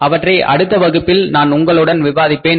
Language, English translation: Tamil, So, that will be discussed in the next class